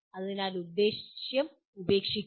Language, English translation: Malayalam, So leave the purpose